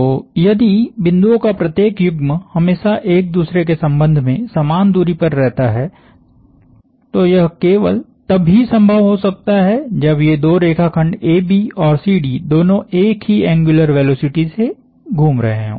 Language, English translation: Hindi, So, if every pair of points remain at the same distance with respect to each other for all times, then the only way that can happen is that these two line segments AB and CD are both rotating with the same angular velocity